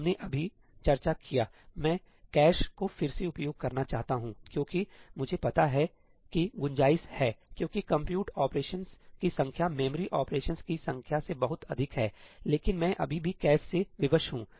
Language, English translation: Hindi, We just discussed , I want to reuse the cache, because I know that there is scope; because the number of compute operations is much more than the number of memory operations, but I am still constrained by the cache